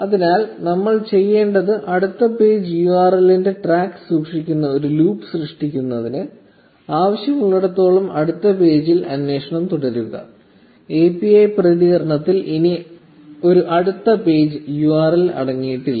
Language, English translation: Malayalam, So what we need to do is to create a loop which will keep a track of the next page URL, and keep on querying the next page as long as needed; until the point where the API response does not contain a next page URL anymore